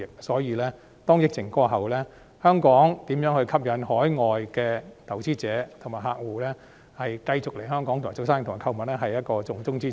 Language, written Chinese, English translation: Cantonese, 所以，疫情過後，香港如何吸引海外投資者和客戶繼續來港做生意和購物是重中之重。, As such when the outbreak is over how Hong Kong can attract overseas investors and customers to keep on doing business and shopping here will be a pressing priority